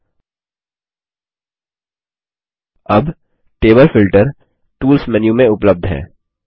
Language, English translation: Hindi, Now, Table Filter is available under the Tools menu